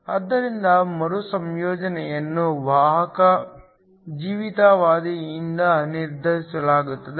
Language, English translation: Kannada, So, The recombination is determined by the carrier life time